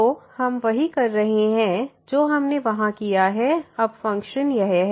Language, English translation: Hindi, So, doing exactly what we have done there now the function is this one